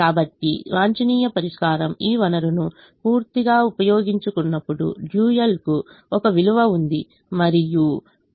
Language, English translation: Telugu, so when the optimum solution fully utilizes this resource, the dual has a value and y one is equal to one